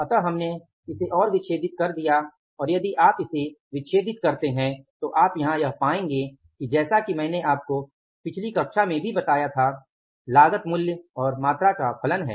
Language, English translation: Hindi, So, now we further dissected it and if you dissect it you will find out here is that as I told you in the previous class also the cost is a function of price and quantity